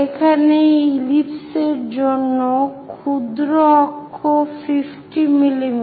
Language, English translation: Bengali, Here example is minor axis 50 mm